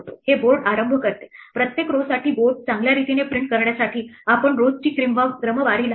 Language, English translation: Marathi, This initializes the board; what how do we print a board well for every row we sort the rows